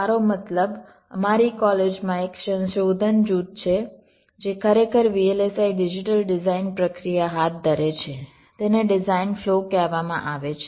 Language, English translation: Gujarati, ah, i means there is a research group in our college who actually carry out the v l s i digital design process, design flow